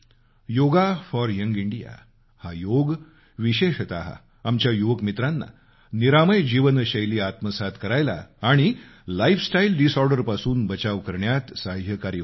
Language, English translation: Marathi, Yoga will be helpful for especially our young friends, in maintaining a healthy lifestyle and protecting them from lifestyle disorders